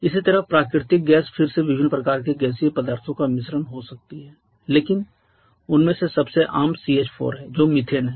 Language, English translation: Hindi, Similarly the natural gas again can be a mixture of different kind of gaseous substances but the most common of that is CH4 which is methane